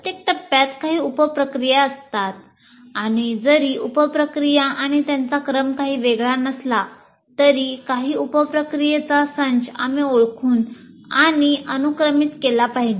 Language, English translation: Marathi, Every phase will have some sub processes and though this the sub processes and their sequence is not anything unique, but some set of sub processes we have to identify and also sequence them